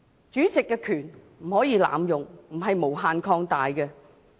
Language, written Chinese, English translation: Cantonese, 主席的權力不可以濫用，不是無限擴大。, The power of the President cannot be abused or expanded infinitely